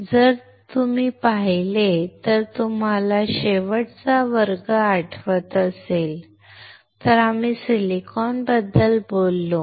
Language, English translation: Marathi, So, if you see, if you remember the last class we talked about silicon right